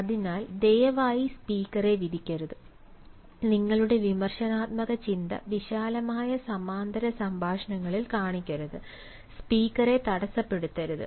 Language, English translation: Malayalam, so please do not judge this speaker and do not show your critical thinking of wide parallel talks and dont interrupt the speaker